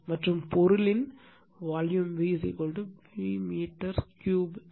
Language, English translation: Tamil, And V is equal to volume of the material in meter cube